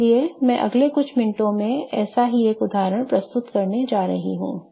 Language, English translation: Hindi, So, I'm going to go over one such example in next few minutes